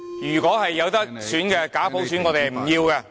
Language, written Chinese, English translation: Cantonese, 如果有得選，我們不要假普選。, if we are able to select we will not select a fake universal suffrage